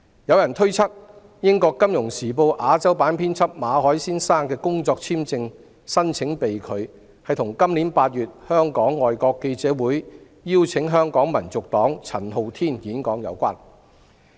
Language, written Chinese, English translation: Cantonese, 有人推測，英國《金融時報》亞洲新聞編輯馬凱先生的工作簽證續期申請被拒，與今年8月香港外國記者會邀請香港民族黨陳浩天演講有關。, There was speculation that the rejection of the employment visa renewal application of Mr MALLET Asia news editor of the Financial Times is related to FCCs invitation of Hong Kong National Party convenor Andy CHAN for a speech in August this year